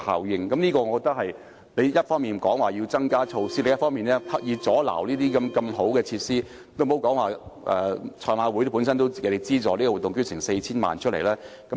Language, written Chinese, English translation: Cantonese, 我覺得我們不應一方面要求增加措施，另一方面卻刻意阻礙發展如此好的設施，也別說香港賽馬會為這個活動提供 4,000 萬元的資助。, I think Members should not call for the increase in facilities on the one hand but deliberately hinder the development of such a good project on the other especially when the project has already secured a funding of 40 million from the Hong Kong Jockey Club